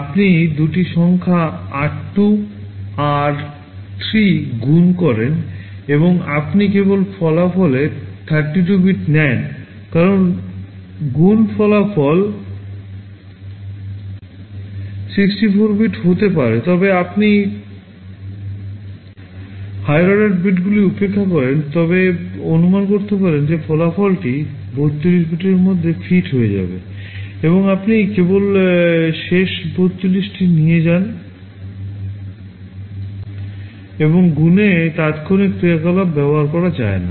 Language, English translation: Bengali, You multiply the two numbers r2, r3 and you take only 32 bits of the result because multiplication result can be 64 bit, but you ignore the high order bits you assume that the result will fit within 32 bits and you take only the last 32 bits